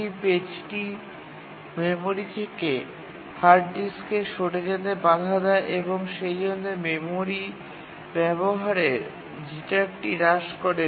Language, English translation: Bengali, It prevents the page from being swapped from the memory to the hard disk and therefore the jitter in memory access reduces